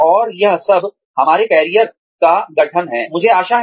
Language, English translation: Hindi, And, all of this constitutes, our career